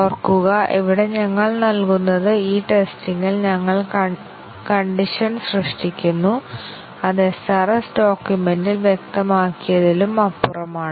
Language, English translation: Malayalam, Remember that here we give, we create conditions in these testing which is beyond what is specified in the SRS document